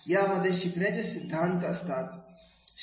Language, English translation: Marathi, The learning theories are there